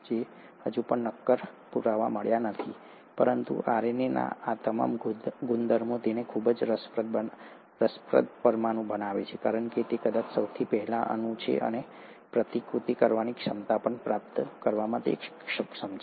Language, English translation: Gujarati, So we still don’t have concrete proof, but all these properties of RNA make it a very interesting molecule for it to be probably the earliest molecule capable of acquiring the ability to replicate